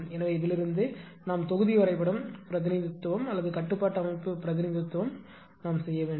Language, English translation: Tamil, So, from that we have to from this only, we have to make the block diagram representation our control system representation